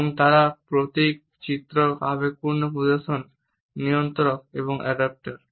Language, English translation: Bengali, And they are emblems, illustrators, affective displays, regulators and adaptors